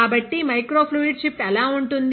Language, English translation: Telugu, So, this is how microfluidic chip looks like